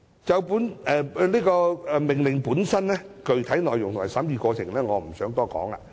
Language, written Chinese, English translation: Cantonese, 就本命令的具體內容及審議過程，我不想多談。, I do not want to talk too much about the specific contents of the Order and the deliberation process